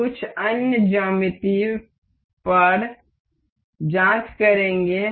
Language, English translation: Hindi, We will check that on some other geometry